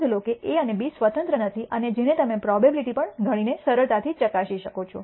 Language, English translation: Gujarati, Notice that A and B are not independent and which you can easily verify by computing the probabilities also